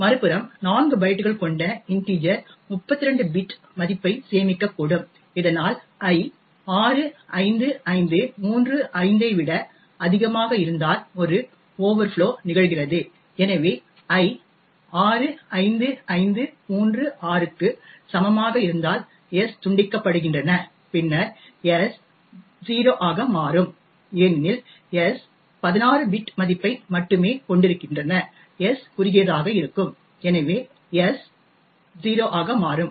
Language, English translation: Tamil, On the other hand integer which is typically 4 bytes could store up to a 32 bit value thus if i is greater than 65535 there is an overflow that occurs and therefore s gets truncated for example if i is equal to 65536 right then s would become 0 because s holds only 16 bit value and s is of short and therefore s would become 0